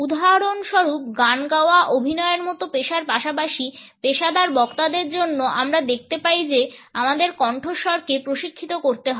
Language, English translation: Bengali, For example in professions like singing acting as well as for professional speakers we find that the voice has to be trained